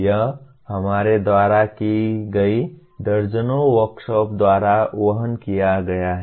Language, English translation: Hindi, This has been borne out by dozens of workshops that we have done